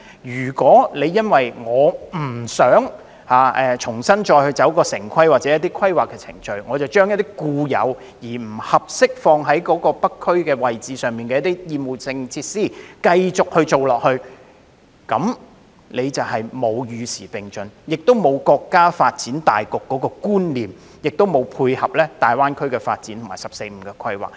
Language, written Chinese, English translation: Cantonese, 如果政府因不想重新經過城市規劃程序，而繼續發展不適合在北區設立的厭惡性設施，便是未能與時並進、未能融入國家發展大局，也未能配合大灣區發展和"十四五"規劃。, If it is the reluctance of the Government to go through the town planning process again that has prompted it to continue to develop offensive facilities that are unsuitable to be established in the North District then it is the Governments failure to respond to changing demands integrate into the overall development of the country or dovetail with the development of GBA and the 14 Five - Year Plan